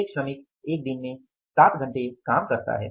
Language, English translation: Hindi, A worker works for seven hours in a day